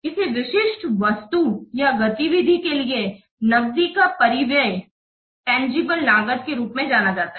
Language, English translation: Hindi, An outlay of the cash for a specific item or activity is referred to as a tangible cost